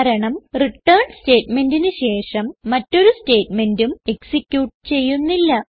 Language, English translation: Malayalam, This is because after return statement no other statements are executed